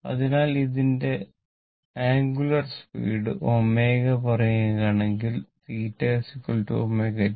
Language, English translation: Malayalam, So, it is angular speed is omega say, then theta is equal to omega t